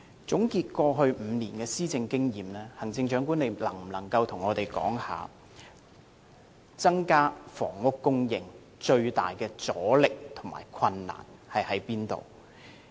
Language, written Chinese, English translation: Cantonese, 總結過去5年的施政經驗，行政長官能否向我們指出，增加房屋供應最大的阻力及困難在哪裏？, In summarizing the experience in policy implementation over the past five years can the Chief Executive point out to us the major resistance and difficulties in increasing housing supply?